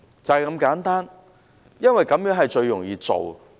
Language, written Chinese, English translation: Cantonese, 就是如此簡單，也是最容易做的。, It is just this simple and these requirements would be easy to meet